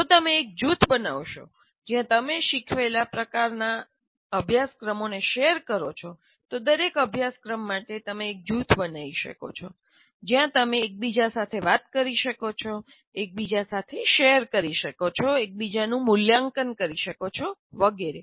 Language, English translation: Gujarati, If you form a group where you share the type of courses that you teach, for each course you can form a kind of a group where you can talk to each other, share with each other, evaluate each other, and so on